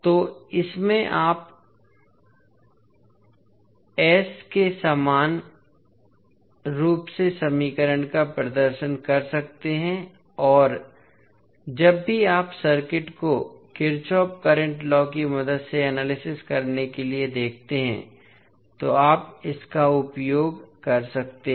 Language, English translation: Hindi, So, in this you can represent equivalently the equation for Is and this you can utilize whenever you see the circuit to be analyzed with the help of Kirchhoff’s current law